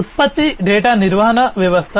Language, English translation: Telugu, Product data management system